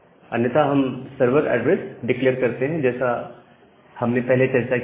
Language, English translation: Hindi, Otherwise we declare the server address as we have discussed earlier